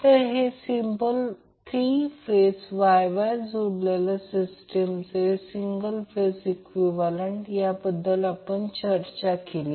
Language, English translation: Marathi, So this will be single phase equivalent of the three phase Y Y connected system which we discussed